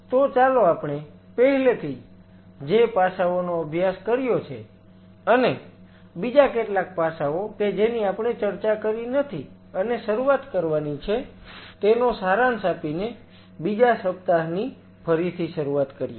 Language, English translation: Gujarati, So, let us resume the second week by kind of summarizing the aspect what we have already dealt and couple of other aspect which we have not talked about to start off with